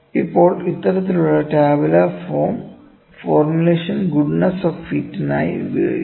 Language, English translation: Malayalam, Now, this kind of tabular form formulation is used for goodness of fit, ok